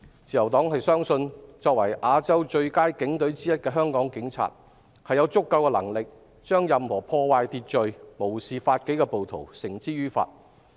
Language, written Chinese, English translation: Cantonese, 自由黨相信，作為亞洲最佳警隊之一的香港警察，有足夠能力將任何破壞秩序、無視法紀的暴徒繩之以法。, The Liberal Party believes that the Hong Kong Police one of the best police forces in Asia is capable of bringing to justice any rioters who violate public order and ignore the law